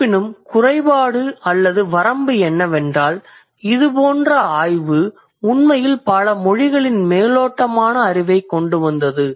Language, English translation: Tamil, And the drawback or the limitation is that such kind of an exploration, this era of exploration actually brought superficial knowledge of many languages